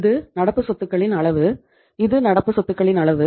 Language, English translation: Tamil, This is the level of current assets uh this is the level of current assets